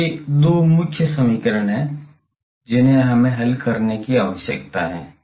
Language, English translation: Hindi, So, these are the two main equations that we need to solve